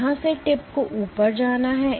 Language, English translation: Hindi, From here the tip has to go up